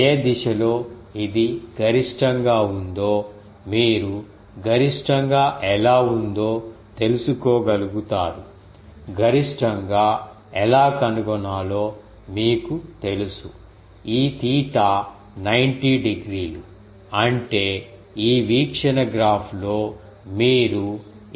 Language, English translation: Telugu, In which direction it is maximum you can find out that what is the theta in which this is having a maximum you know how to find maximum, it will be turn out, that this theta is 90 degree; that means, what is theta you looked here in this view graph